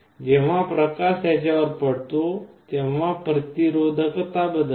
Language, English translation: Marathi, When light falls on them the resistivity changes